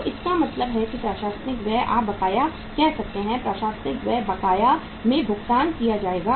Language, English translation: Hindi, So it means administrative expenses you can say outstanding, administrative expenses they will be paid in arrears